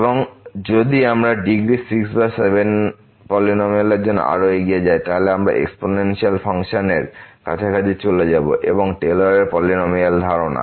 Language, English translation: Bengali, And if we move further for the polynomial of degree 6 or 7, then we will be moving closer to the exponential function and that’s the idea of the Taylor’s polynomial